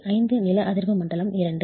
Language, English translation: Tamil, 5 seismic zone 2